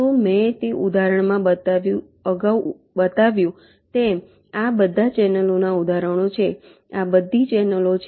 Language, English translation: Gujarati, so, as i showed in that example earlier, these are all examples of channels